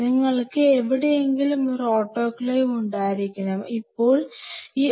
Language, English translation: Malayalam, So, you have to have one more thing, you have to have an autoclave somewhere out here, now this autoclave can be outside the lab also